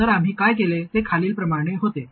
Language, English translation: Marathi, So what we did was the following